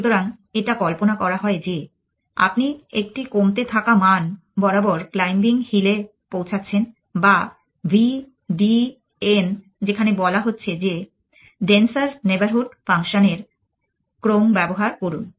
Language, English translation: Bengali, So, it is imagined you are going down a value into the claiming hill or v d n were this is saying is that use sequence of denser neighborhood functions